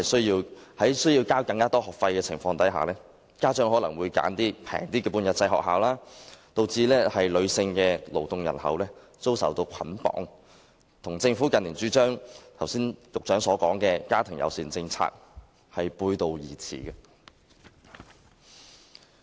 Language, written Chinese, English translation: Cantonese, 由於須繳交學費，家長可能會選擇較便宜的半日制幼稚園，以致女性勞動人口遭受束縛，與剛才局長所說政府近年主張的家庭友善政策背道而馳。, As parents have to pay tuition fees they may choose cheaper half - day kindergartens thus female workforce participation is still constrained contrary to the family - friendly policy advocated by the Government in recent years